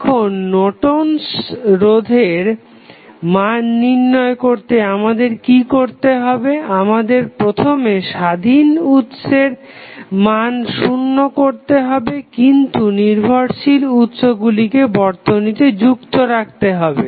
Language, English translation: Bengali, Now, what we have to do to find out the Norton's resistance, we have to first set the independent Sources equal to 0, but leave the dependent sources as it is in the circuit